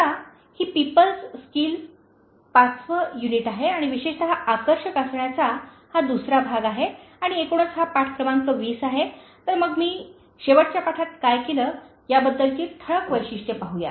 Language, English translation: Marathi, Now, this is People Skills fifth unit and then particularly this the second part of Being Attractive and overall this is lesson number 20, so let us look at the highlights of what I did in the last lesson